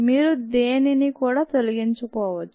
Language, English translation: Telugu, you may not even remove with anything